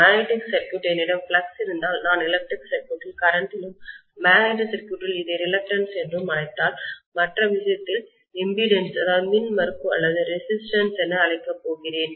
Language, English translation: Tamil, In the magnetic circuit, if I have flux, I am going to have in the electric circuit current and in the magnetic circuit if I call this as reluctance, I am going to call in the other case as impedance or resistance